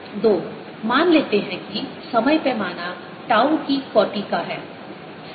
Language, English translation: Hindi, two, let's assume that the time scale is of the order of tau